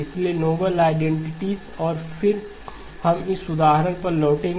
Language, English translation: Hindi, So the noble identities, and then we will come back to this example